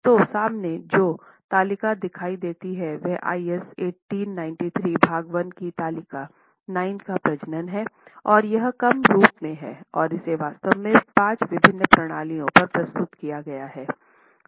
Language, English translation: Hindi, So, the table that you see in front of you is a reproduction of table 9 of IS 1893 Part 1, and it is in a reduced form that I have actually presented it, talking of five different systems